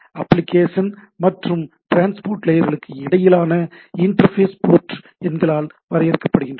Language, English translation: Tamil, Interface between the application and transport layer is defined by port numbers, right like how do I identify a system